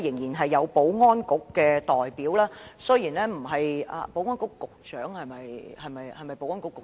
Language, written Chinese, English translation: Cantonese, 現在保安局代表仍在席，雖然他並非保安局局長；他垂下頭我看不清楚......, At the moment the representative of the Security Bureau is still present but he is not the Secretary for Security; I cannot see his face clearly as he has lowered his head Oh he is the Under Secretary